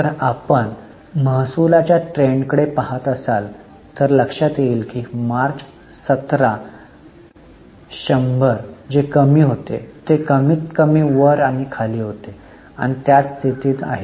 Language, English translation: Marathi, So, if you look at the revenue trends, you will realize that March 17, what was 100 is more or less up and down and it's at the same position